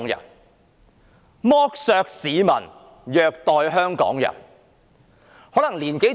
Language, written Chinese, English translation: Cantonese, 我重複：是剝削市民，虐待香港人。, I repeat it is exploiting the public and abusing the people of Hong Kong